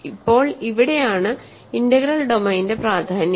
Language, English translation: Malayalam, Now, here is where integral domain is important